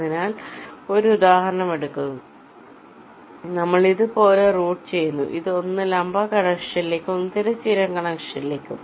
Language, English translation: Malayalam, suppose we route it like this: one to vertical connection and one horizontal connection